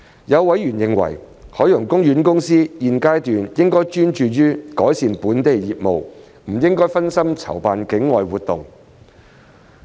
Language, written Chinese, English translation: Cantonese, 有委員認為，海洋公園公司現階段應專注於改善本地業務，不應分心籌辦境外活動。, Some members have opined that OPC should place more emphasis on improving its local business at this stage instead of distracting itself with organizing activities outside Hong Kong